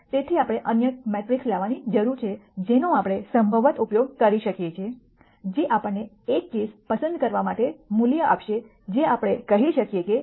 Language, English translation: Gujarati, So, we need to bring some other metric that we could possibly use, which would have some value for us to pick one solution that we can say is a solution to this case